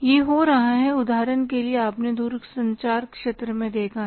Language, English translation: Hindi, For example you have seen in the telecom sector